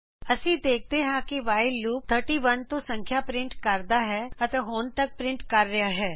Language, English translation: Punjabi, We see that while loop prints numbers from 31 and is still printing